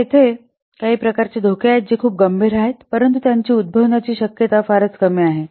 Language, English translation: Marathi, So some kinds of risks are there they are very serious but the very unlikely they will occur the chance of occurring them is very less